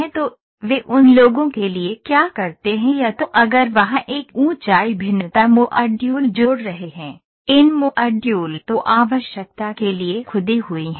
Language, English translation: Hindi, So, what they do for those people is either if there is a height variation the modules are added, these modules are then carved to the requirement